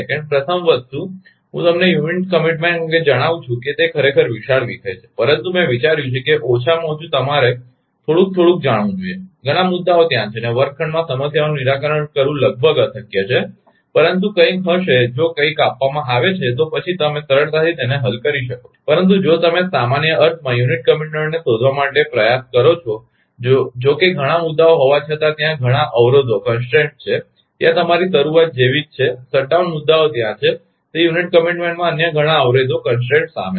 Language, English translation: Gujarati, First thing let me tell you regarding unit commitment it is actually huge topic, but I thought at least you should know little bit little bit right, many issues are there and it is ah almost ah impossible to solve problems in the classroom right, but something will be give if something is given, then easily you can solve it, but if you try to find out that actually unit commitment in general means, that although several issues are there several constant are there right like your start up, shut down issues are there many other constants are involved in that unit commitment